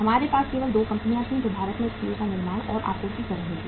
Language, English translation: Hindi, We had only 2 companies who were manufacturing and supplying steel in India